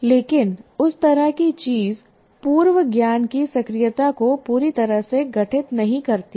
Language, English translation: Hindi, But that is, that kind of thing doesn't fully constitute the activation of prior knowledge